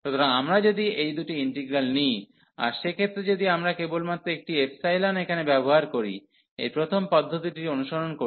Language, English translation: Bengali, So, if we take these two integrals, in that case if we use this first approach by introducing only one epsilon here